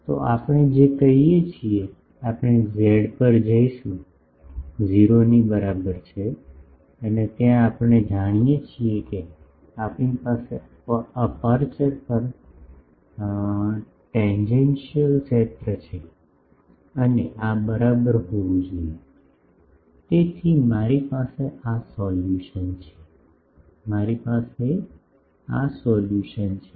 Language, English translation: Gujarati, So, what we can say that, we will go to z is equal to 0 and there we know that, we have the tangential field on the aperture as this and this should be equal to; so, I have this solution, I have this solution